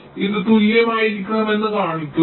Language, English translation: Malayalam, see, this should be equal